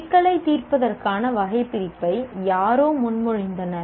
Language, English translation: Tamil, Someone proposed a taxonomy of problem solving